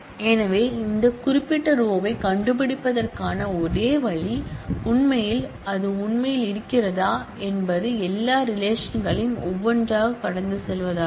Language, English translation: Tamil, So, the only way to find out this particular row and in fact, whether it actually exist would be to go over all the relations one by one